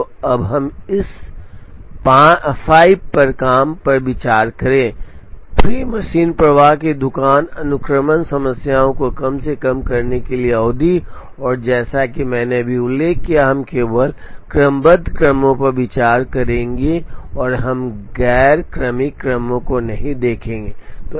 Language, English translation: Hindi, So now, let us consider this 5 job, 3 machine flow shop sequencing problem to minimize make span, and as I have just mentioned, we will consider only permutation sequences and we will not look at non permutation sequences